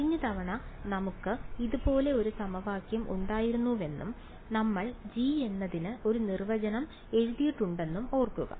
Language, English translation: Malayalam, Remember we had last time an equation like this and we wrote a definition for g